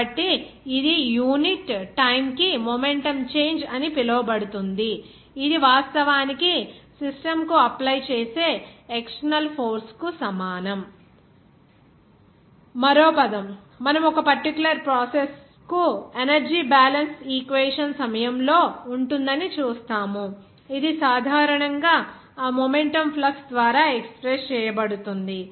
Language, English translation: Telugu, So, that will be called as momentum change per unit time, which is actually equal to the external force applied to the system Also another term you will see that there will be during the energy balance equation for a particular process, it is generally expressed by that momentum flux